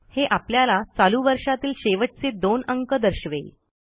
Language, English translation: Marathi, It gives the last two digit of the current year